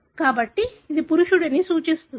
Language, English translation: Telugu, So, this represents a male